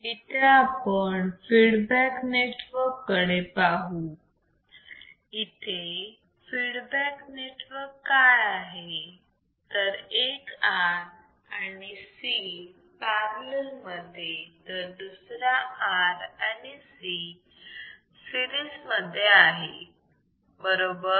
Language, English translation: Marathi, So, what was the feedback network one R and C in parallel second R and C in series right